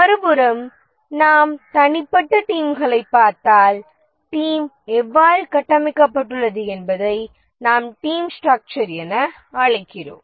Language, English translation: Tamil, On the other hand, if we look at the individual teams and how the team is structured, that we call as the team structure